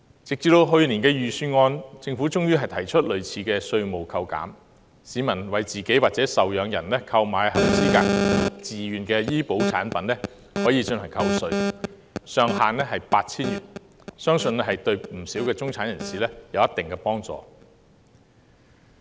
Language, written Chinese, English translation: Cantonese, 直至去年的預算案，政府終於提出類似的稅務扣減，市民為自己或受養人購買合資格自願醫保產品可作扣稅，上限為 8,000 元，相信對不少中產人士有一定幫助。, It was not until last year that the Government eventually put forth in its Budget a similar tax deduction proposal under which members of the public who purchased qualified voluntary health insurance products for themselves or their dependants could receive tax deduction subject to a ceiling of 8,000 . I believe it will be of some help to quite a number of middle - class people